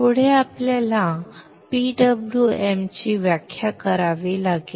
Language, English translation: Marathi, Next we have to define the PWM